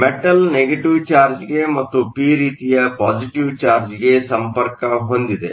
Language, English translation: Kannada, The metal is connected to a negative charge and the p type is connected to a positive charge